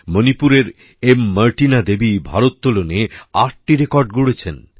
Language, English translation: Bengali, Martina Devi of Manipur has made eight records in weightlifting